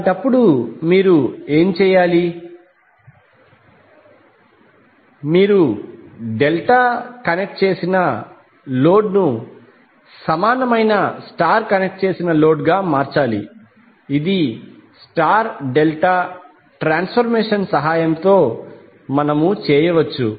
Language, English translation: Telugu, So in that case what you have to do, you have to convert delta connected load into equivalent star connected load which we can do with the help of star delta transformation